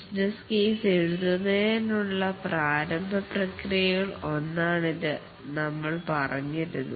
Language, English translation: Malayalam, We had said that this is one of the initiating processes to write the business case